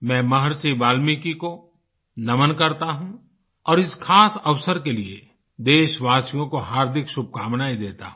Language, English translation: Hindi, I pay my obeisance to Maharishi Valmiki and extend my heartiest greetings to the countrymen on this special occasion